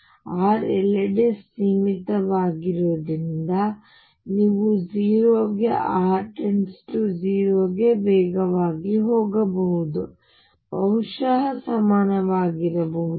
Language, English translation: Kannada, And since R is finite everywhere u should go to 0 as r tends to 0 faster than and maybe equal to also